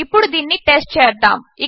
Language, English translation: Telugu, Lets just test this out